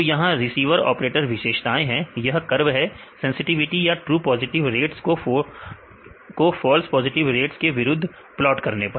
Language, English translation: Hindi, So, here this is the receiver operator characteristics, this is a curve; by plotting the sensitivity or the true positive rates against the false positive rate